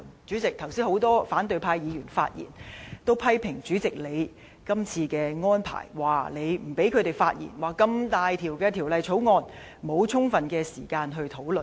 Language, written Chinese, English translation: Cantonese, 主席，剛才很多反對派議員發言都批評，主席你這次的安排，說你不讓他們發言，這麼重大的《條例草案》，沒有充分時間討論。, President many opposition Members who spoke just now lashed out at your meeting arrangements this time around claiming that you forbade them to speak and did not allow insufficient time for discussing such a significant bill